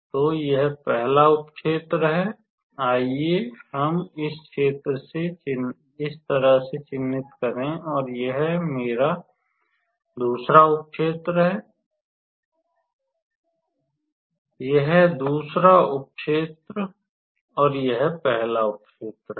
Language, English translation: Hindi, So, this is my first sub region; let us mark this way and this is my second sub region, this is the second sub region and this is the first sub region alright